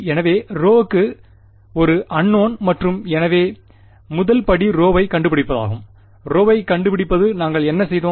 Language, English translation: Tamil, So, rho was the unknown and ah, so the first step was to find rho and to find rho what did we do